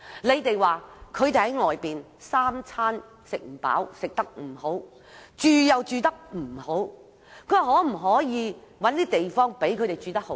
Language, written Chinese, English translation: Cantonese, 你們說他們三餐不飽、吃得不好，住又住得不好，說可否找地方讓他們住得好一點。, They say that the refugees do not have enough to eat and lack a proper dwelling . They ask whether the refugees can be provided with a proper place to live